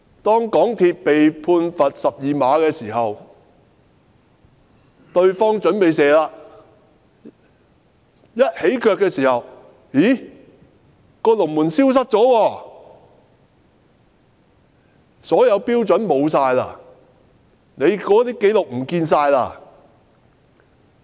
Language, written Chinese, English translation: Cantonese, 當港鐵公司被判罰12碼，對方準備起腳射球的時候，發現龍門消失了，所有標準都不見了，紀錄全部消失。, When a penalty kick is awarded against MTRCL and the opposing team is about to take the shot they find that the goalposts have disappeared . All the standards have gone . All the records are missing